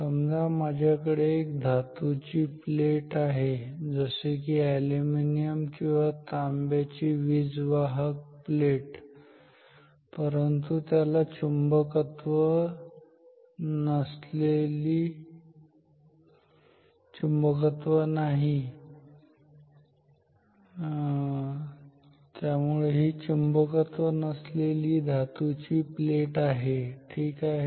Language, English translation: Marathi, So, I have say a metal plate, non conducting metal plate like aluminium, copper sorry I mean conducting but non magnetic metal plate ok